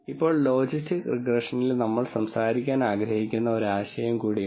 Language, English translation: Malayalam, Now, there is one more idea that we want to talk about in logistic regression